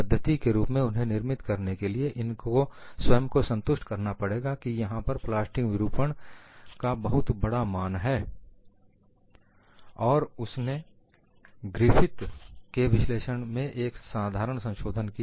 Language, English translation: Hindi, For them to formulate the methodology, they have to convince that there is large value of plastic deformation, and he made a very simple modification to Griffith’s analysis